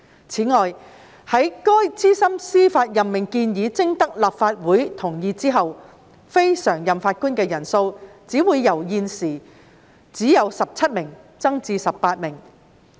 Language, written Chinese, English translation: Cantonese, 此外，在該資深司法任命建議徵得立法會同意後，非常任法官的人數只會由現時只有17名增至18名。, Moreover with the endorsement of the proposed senior judicial appointment by the Legislative Council the number of non - permanent judges NPJs will only increase from the existing 17 to 18